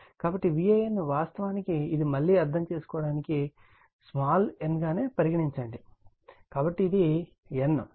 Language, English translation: Telugu, So, my V an actually this again we make small n for your understanding, so it is small n